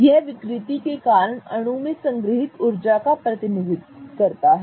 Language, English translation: Hindi, It is representative of the energy stored in the molecule because of distortion